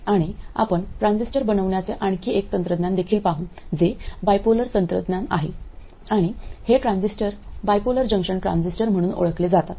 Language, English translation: Marathi, Then we will also look at another technology of making transistors which is the bipolar technology and these transistors are known as bipolar transistors